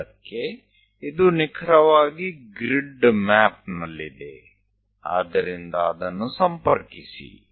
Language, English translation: Kannada, At 5, this is precisely on the grid map, so connect that